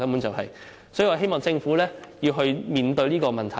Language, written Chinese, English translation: Cantonese, 所以，我希望政府面對這個問題。, Therefore I hope the Government can address the problem